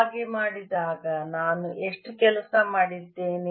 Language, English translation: Kannada, how much work have i done doing so